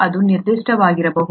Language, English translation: Kannada, It can be that specific